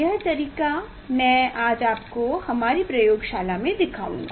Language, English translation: Hindi, this method I will show you today in our laboratory